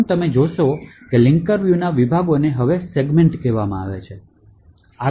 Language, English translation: Gujarati, First, you would notice that the sections in the linker view now called segments